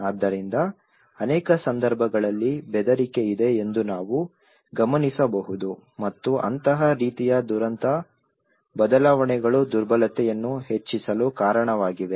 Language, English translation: Kannada, So in many cases, we can observe that there is threat and such kind of cataclysmic changes have led to increase vulnerability